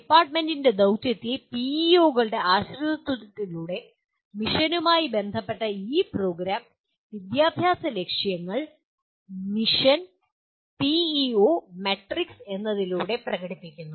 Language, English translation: Malayalam, And these Program Educational Objectives we will presently see get related to mission through the dependency of PEOs on the mission of the department is expressed through what is called Mission PEO matrix